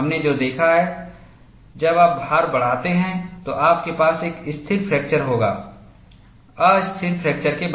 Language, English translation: Hindi, What we have seen, when you increase the load you will have a stable fracture, followed by unstable fracture